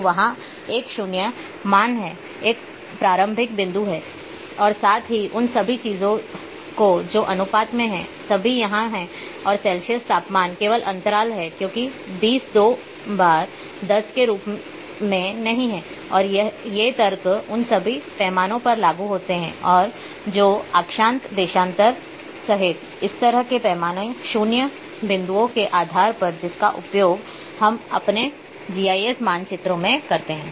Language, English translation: Hindi, So, there is a 0 value there is a starting point plus all those things which are there in the ratio are all here and the Celsius temperature is only interval because 20 is not twice as the 10 and these argument applies to all the scales that are based on similarly arbitrary 0 points including latitude longitude which we uses in our GIS maps